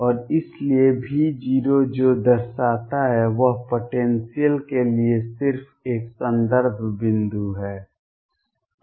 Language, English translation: Hindi, And therefore, what V 0 represents is just a reference point for the potential